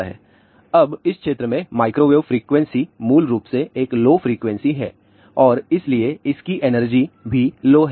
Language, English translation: Hindi, Now microwave frequency in this region, basically has a lower frequency and hence, it has a lower energy